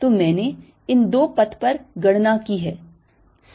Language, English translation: Hindi, so i have calculated over these two paths